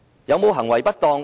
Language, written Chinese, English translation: Cantonese, 有行為不當嗎？, Are there acts of misconduct?